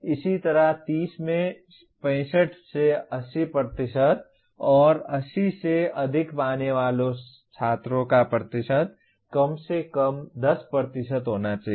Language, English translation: Hindi, Similarly for 65 to 80% in 30 and percentage of student getting 80 greater than 80 should be at least 10%